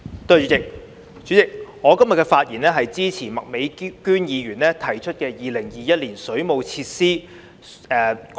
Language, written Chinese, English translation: Cantonese, 代理主席，今天我發言支持麥美娟議員提出的《2021年水務設施條例草案》。, Deputy President today I rise to speak in support of the Waterworks Amendment Bill 2021 the Bill introduced by Ms Alice MAK